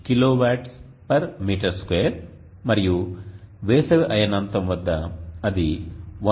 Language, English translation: Telugu, 41kw / m2 and at the summer sols sties point it is 1